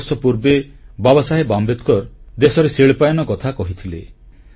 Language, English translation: Odia, Baba Saheb Ambedkar spoke of India's industrialization